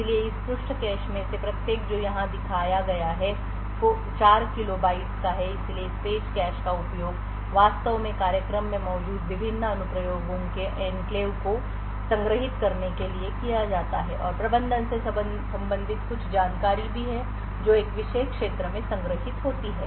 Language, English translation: Hindi, So each of this page caches which is shown over here is of 4 kilo bytes so this page caches are used to actually store the enclaves of the various applications present in the program and also there is some management related information which is stored in a special region known as the EPCM or which expands to EPC Micro Architecture